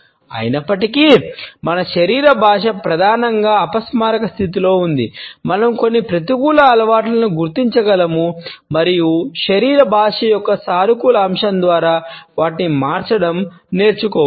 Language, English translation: Telugu, Even though, our body language is mainly unconscious we can identify certain negative habits and learn to replace them by a more positive aspect of body language